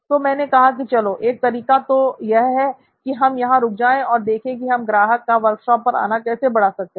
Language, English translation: Hindi, So I said okay, one way is to just stop here and say how might we increase the customer visits to the workshop